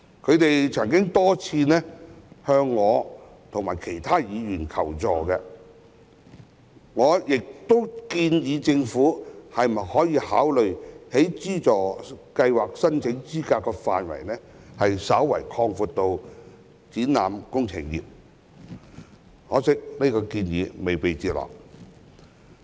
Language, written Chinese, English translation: Cantonese, 他們曾多次向我及其他議員求助，我亦建議政府考慮將該資助計劃申請資格的範圍稍為擴闊至包括展覽工程業，可惜這項建議未被接納。, They have asked me and other Members for help for many times and I have suggested that the Government consider slightly expanding the eligibility criteria for the scheme to include the exhibition production sector . Sadly this suggestion was not taken on board